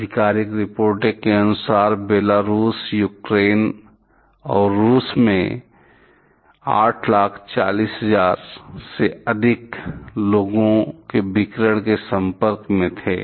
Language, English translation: Hindi, As per official reports, over 8,400,000 people in Belarus, Ukraine and Russia were exposed to the radiation